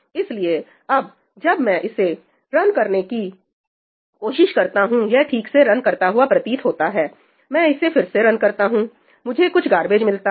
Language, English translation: Hindi, So, now, when I try to run this, seems to run fine, I run it again, I get some garbage